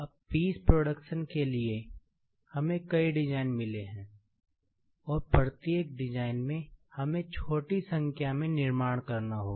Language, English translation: Hindi, Now, for piece production, we have got several designs and each design, we will have to manufacture small in number